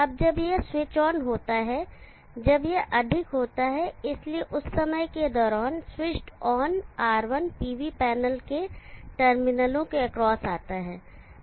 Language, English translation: Hindi, Now when this switch is on when this is high, so during that time the switched on R1 comes across the terminals of the PV panel